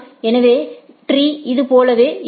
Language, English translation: Tamil, So, the tree will look like this one right